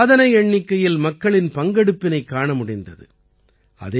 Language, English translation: Tamil, The participation of a record number of people was observed